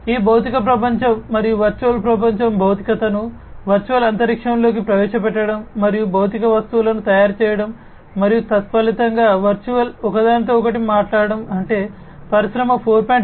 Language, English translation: Telugu, So, basically, you know, this physical world and the virtual world, instantiation of the physical into the virtual space and making the physical objects and consequently the virtual ones talk to one another is what is done in the context of smart factories in Industry 4